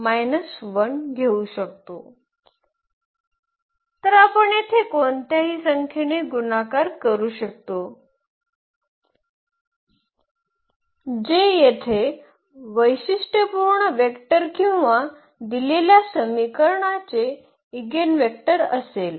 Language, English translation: Marathi, So, we can multiply by any number here that will be the characteristic a vector here or the eigenvector of the given equation